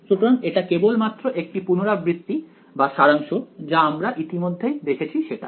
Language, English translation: Bengali, So, it is just a review or a summary of what we have already done and seen so far ok